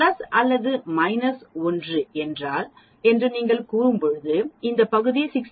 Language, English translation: Tamil, When you say plus or minus 1 sigma this area is 68